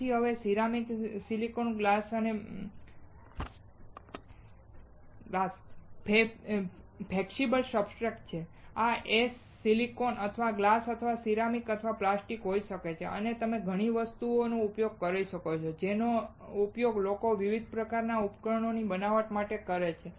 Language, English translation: Gujarati, So, now this is ceramic silicon glass flexible substrate; This s can be silicon or glass or ceramic or plastic and you will come across a lot of things that people use to fabricate several kinds of devices